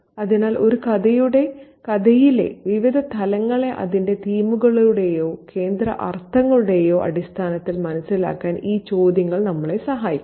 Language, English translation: Malayalam, So, these questions will help us understand the various layers that are there in a story in terms of its themes or central meanings